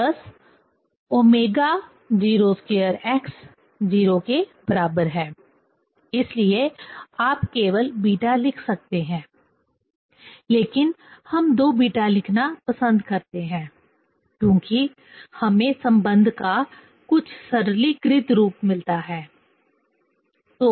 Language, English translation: Hindi, So, d 2 x by d t square plus 2 beta; so one can write only beta, but we prefer to write 2 beta because we get some simplified form of the relation